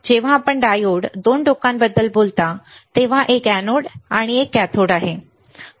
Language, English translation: Marathi, When you talk about diode two ends one is anode one is cathode, all right